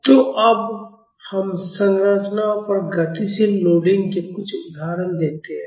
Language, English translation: Hindi, So, now let us look at some examples of dynamic loading on structures